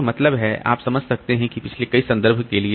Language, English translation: Hindi, So, that means you can understand that for previous so many references